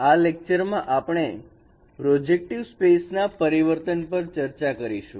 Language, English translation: Gujarati, In this lecture we will discuss about transformation in projective space